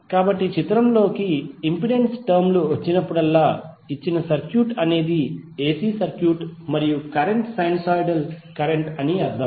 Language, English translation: Telugu, So whenever the impedance terms into the picture it means that the circuit is AC circuit and the current is sinusoidal current